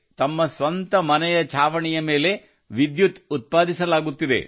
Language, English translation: Kannada, Electricity is being generated on the roof of their own houses